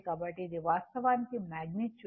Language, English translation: Telugu, So, this is actually the magnitude